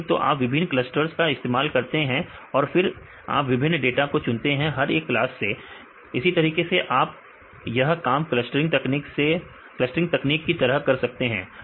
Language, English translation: Hindi, So, you used the different clusters then you pick up the different data from each classes right likewise you can this work like the clustering techniques